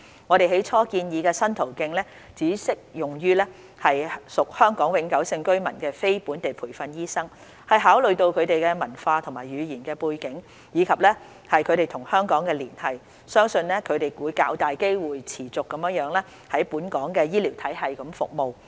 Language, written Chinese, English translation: Cantonese, 我們起初建議的新途徑只適用於屬香港永久性居民的非本地培訓醫生，是考慮到他們的文化和語言背景，以及他們與香港的連繫，相信他們會較大機會持續在本港的醫療體系服務。, At first we proposed that the new pathway be applicable to NLTDs who are HKPRs only on consideration of their cultural and language background as well as their attachment to Hong Kong . We believe there stands a higher chance for them to serve in the healthcare system in Hong Kong for a continued period of time